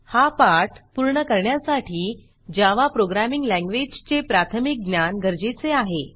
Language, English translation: Marathi, To finish this tutorial, basic knowledge in the Java Programming Language is necessary